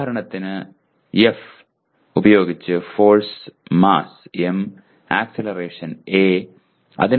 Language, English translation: Malayalam, For example F is force, mass is m and acceleration is a